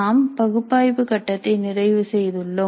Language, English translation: Tamil, We have completed the analysis phase